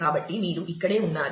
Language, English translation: Telugu, So, this is where you are